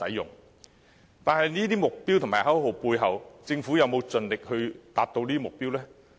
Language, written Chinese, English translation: Cantonese, 然而，在這些目標和口號背後，政府有否盡力達標呢？, However behind these targets and slogans has the Government tried its best to achieve the targets?